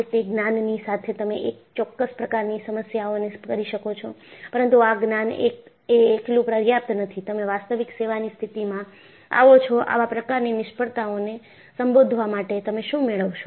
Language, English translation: Gujarati, With that knowledge, you could do certain kind of problems, but that knowledge alone is not sufficient to address the kind of failures that, you come across in actual service condition